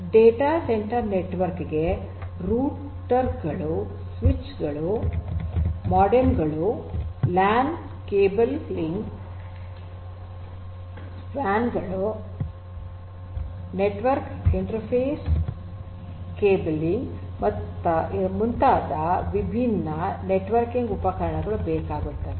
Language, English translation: Kannada, So, a data centre network requires different networking equipment such as routers, switches, modems, supports cabling of LANs, WANs, network interface cabling and so on